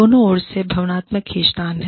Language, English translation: Hindi, Emotional pulls from both sides